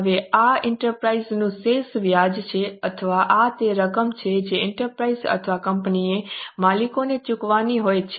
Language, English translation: Gujarati, Now, this is a residual interest of the enterprise or this is the amount which enterprise or a company has to pay to the owners